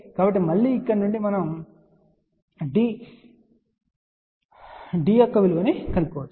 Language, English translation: Telugu, So, again from here we can find the value of D